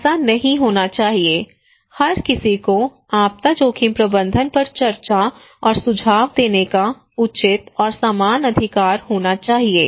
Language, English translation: Hindi, So that should not happen, everybody should have the fair and equal right to discuss and suggest on disaster risk management